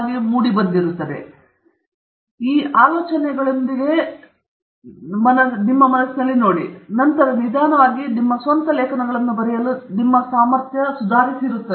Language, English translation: Kannada, So, it’s important to understand these things, look at papers with these ideas in mind, and then, slowly improve your ability to write your own papers